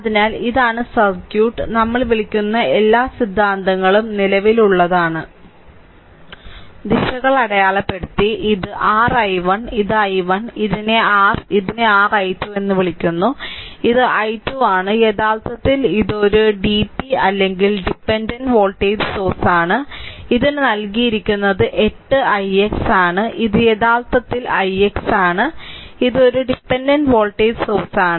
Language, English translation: Malayalam, So, this is the circuit and all the all the theory what you call current directions are marked, this is your i 1 this is i 1, right and this is your what you call this is your i 2, this this is i 2 actually it is a its a DP or dependent ah voltage source, it is given it is 8 i x and this is actually i x and this is a dependent voltage source